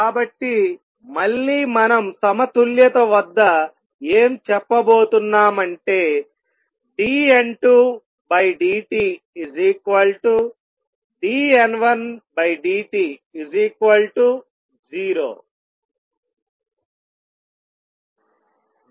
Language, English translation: Telugu, So, again we are going to say that at equilibrium dN 2 by dt is equal to dN 1 by dt is going to be 0